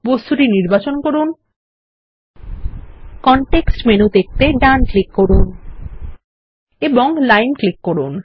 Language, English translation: Bengali, Select the object, right click to view the context menu and click Line